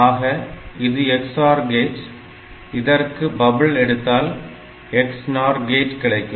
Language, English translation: Tamil, So, if this is the XOR gate, we take a bubble here, so that is the XNOR gate